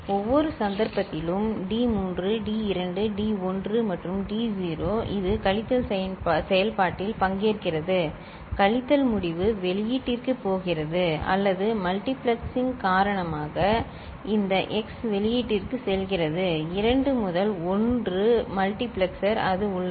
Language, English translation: Tamil, And in every case see this d3 d2 d1 and d naught ok, that is participating in the subtraction process either the subtraction result is going to the output or this x is going to the output because of the multiplexing 2 to 1 multiplexer it is there